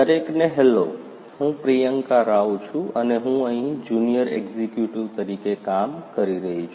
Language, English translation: Gujarati, Hello everyone myself Priyanka Rao and I am working here as training junior executive